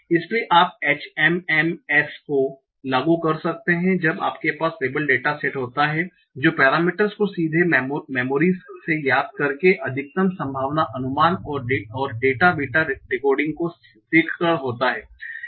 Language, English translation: Hindi, So you can apply HMMs when you have the label data set very easily by learning the parameters directly from M&E, maximum data estimate, and usually VitaB decoding